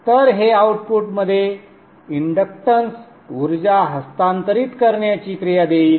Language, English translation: Marathi, So this would give the action of transferring the inductance energy into the output